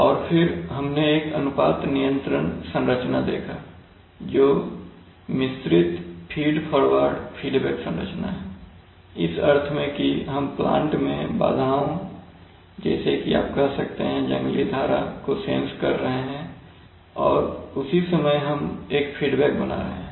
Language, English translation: Hindi, And then we saw a ratio control configuration which is a mixed feed forward feedback configuration, in the sense that the disturbance to the plant, you can say that the wild stream we are sensing and at the same time we are creating a feedback